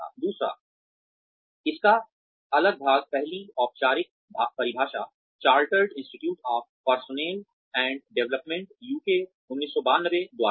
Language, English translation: Hindi, The second, the next part of this is, the first formal definition by, Chartered Institute of Personnel and Development, UK, 1992